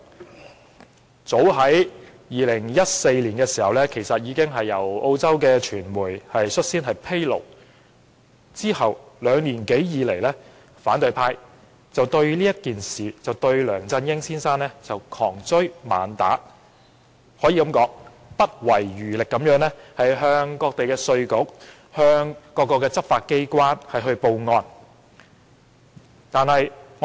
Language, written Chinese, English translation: Cantonese, 這事早在2014年由澳洲傳媒披露，之後兩年多，反對派一直就此對梁振英先生窮追猛打，不遺餘力地向各地稅局和執法機關報案。, The incident was revealed by the Australian media in as early as 2014 and then in the following two years or so the opposition camp has been chasing after Mr LEUNG Chun - ying vigorously and spared no effort in filing reports to tax authorities and law enforcement agencies in different parts of the world